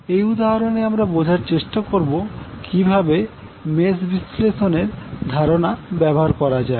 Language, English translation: Bengali, In this example, we will try to understand how we will apply the mesh analysis